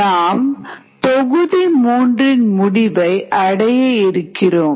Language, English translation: Tamil, we are towards the end of module three